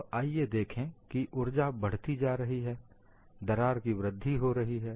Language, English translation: Hindi, Now, let us look, as the energy keeps on increasing, the crack is growing